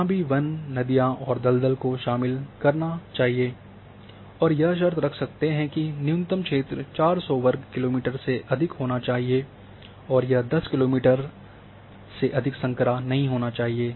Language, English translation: Hindi, And here these are the areas that these areas are including forest, are including swamp, and minimum area having 400 square kilometer and no section narrower than 10 kilometer